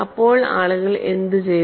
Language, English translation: Malayalam, So, what people have done